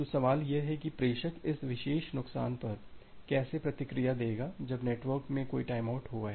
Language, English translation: Hindi, So, the question comes that how does sender will react to it this particular loss when a timeout has occurred in the network